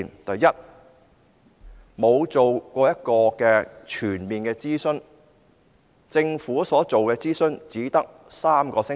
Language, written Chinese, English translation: Cantonese, 第一，政府沒有進行全面諮詢，所進行的諮詢只為期3星期。, First the Government has not carried out a comprehensive consultation . Instead the consultation it carried out lasted for only three weeks